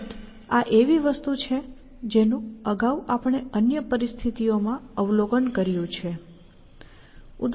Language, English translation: Gujarati, Of course, this is something that we have observed earlier, in other situations